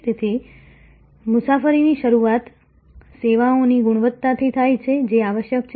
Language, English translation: Gujarati, So, the journey starts from services quality that is essential